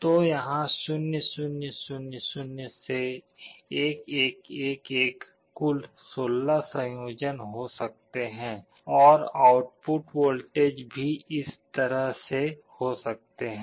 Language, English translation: Hindi, So, there can be 0 0 0 0 up to 1 1 1 1, or 16 combinations, and the output voltage can be like this